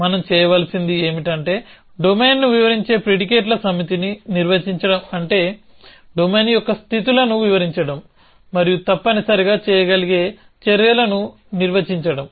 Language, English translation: Telugu, What we will need to do is, define a set of predicates which describe the domain which means describe the states of the domain and then define the actions which can be done essentially